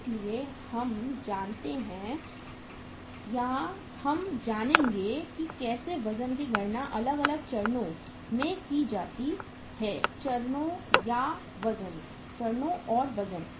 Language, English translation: Hindi, So we know or we will learn how to calculate the weights are different stages; stages and weights